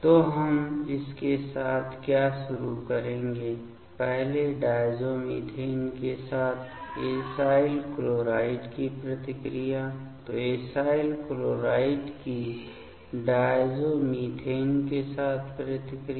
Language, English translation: Hindi, So, what we will start with that first the reactions of acyl chloride with diazomethane; so reaction of acyl chloride with diazomethane ok